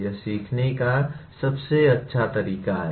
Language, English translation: Hindi, That is the best way to learn